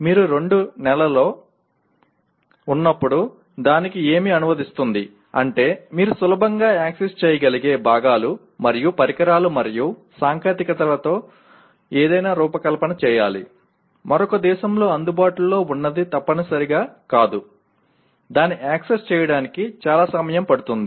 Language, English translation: Telugu, What does it translate to when you have within two months, which means you have to design something with components and devices and technologies that are readily accessible, not necessarily something that is available in another country, it will take lot of time to access that